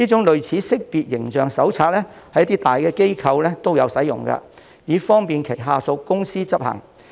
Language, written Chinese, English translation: Cantonese, 類似的識別形象手冊在一些大機構內亦有使用，以方便轄下公司執行。, Some large organizations have also prepared similar brand identity manuals for implementation by their subsidiary companies